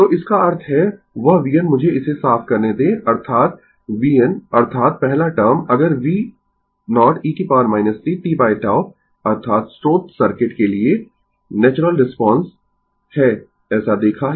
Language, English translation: Hindi, So that means, that v n the let me clear it; that means, the v n that is your first term if V 0 e to the power minus t by tau that is natural response for source the circuit, we have seen that right